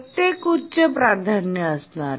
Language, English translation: Marathi, Some are high priority